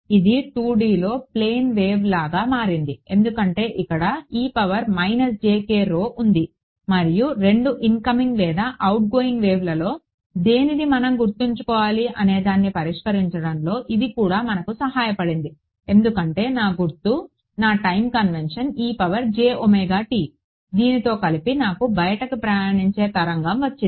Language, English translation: Telugu, It became like plane wave in 2 D; because there is a e to the minus jk rho and this also what helped us to fix the which of the 2 incoming or outgoing waves we should keep remember because my sign my time convention was e to the j omega t combined with this I got an outward travelling wave right